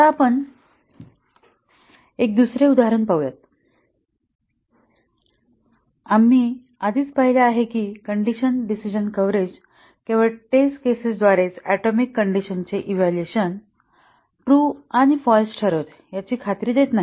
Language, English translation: Marathi, Now, let us look at another example and we had already seen that condition decision coverage not only ensures that the test cases set the atomic condition evaluation true and false